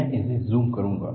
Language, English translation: Hindi, I will make a zoom of it